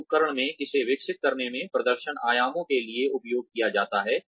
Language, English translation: Hindi, In this instrument, it is used to develop, performance dimensions